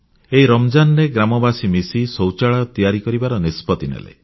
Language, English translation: Odia, During this Ramzan the villagers decided to get together and construct toilets